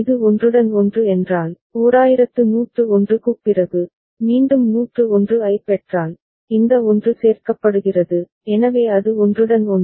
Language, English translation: Tamil, And if it is overlapping that means, after 1101, again if you get a 101, this 1 is getting included, so that is the overlap